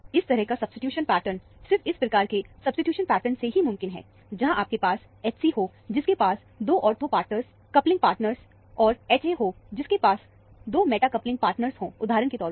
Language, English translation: Hindi, Such a substitution pattern is possible only with the substitution pattern of this type, where you have the H c, which has 2 ortho partner, coupling partners, and the H a, which has 2 meta coupling partners, for example